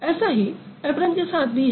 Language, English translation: Hindi, Similar is the case with apron